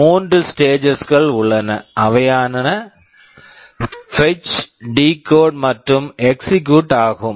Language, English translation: Tamil, There are three stages, fetch, decode and execute